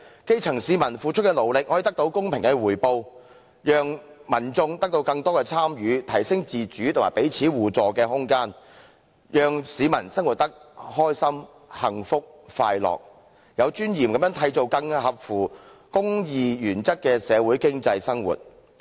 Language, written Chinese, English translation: Cantonese, 基層市民付出的勞力可獲公平的回報，讓民眾得到更多參與，提升自主和彼此互助的空間，讓市民生活得開心、幸福、快樂，有尊嚴地締造合乎公義原則的社會經濟生活。, By so doing people of the lower echelons can get a fair share of the return with their hard work and have a greater chance of participation and more room for autonomy and mutual help so that people can live pleasantly blissfully and happily and they can make a living with dignity under a social economy that conforms to the principle of righteousness